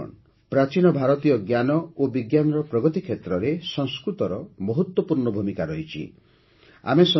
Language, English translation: Odia, Friends, Sanskrit has played a big role in the progress of ancient Indian knowledge and science